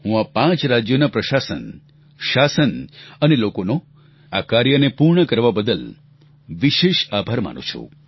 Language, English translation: Gujarati, I express my gratitude to the administration, government and especially the people of these five states, for achieving this objective